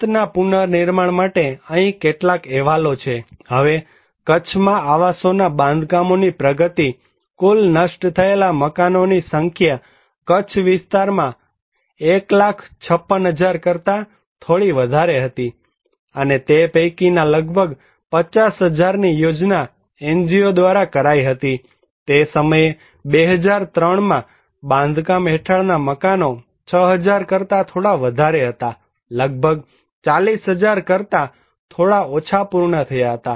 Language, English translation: Gujarati, Shelter reconstruction; some of the reports here; now, progress of housing reconstructions in Kutch, number of total destroyed houses was 1 lakh 56,000 little more than that in Kutch area, and that was planned by the NGO was around 50,000 among them, the under construction house right now that time 2003 was little more than 6000, completed almost 40,000 thousand little less than that